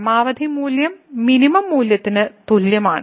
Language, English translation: Malayalam, So, the maximum value is equal to the minimum value